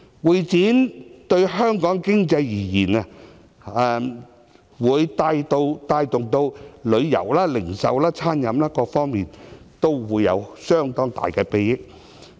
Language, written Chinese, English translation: Cantonese, 會展業對香港經濟而言，能帶動旅遊、零售、餐飲各行業，從而帶來相當大的裨益。, The convention and exhibition industry will stimulate other industries such as tourism retail and catering and bring huge benefits to the Hong Kong economy